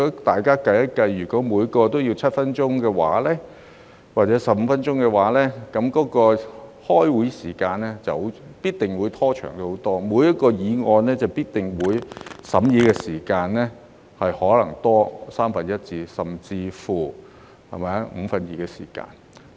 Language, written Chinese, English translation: Cantonese, 大家可以計算一下，如果每人有7分鐘或15分鐘發言時間的話，這樣，開會時間必定會拖長很多，每項議案的審議時間可能會多三分之一甚至五分之二。, Let us just do some calculations . If the speaking time limit for each Member is 7 minutes or 15 minutes this will definitely lengthen the meeting time significantly with the deliberation time for each agenda item possibly increased by one third or even two fifths